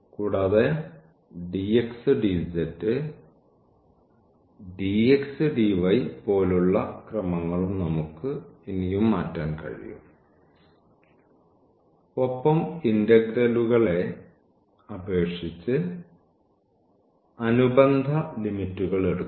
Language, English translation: Malayalam, Also we can further change like the order dx dz dx dy and that corresponding limits will against it over the integrals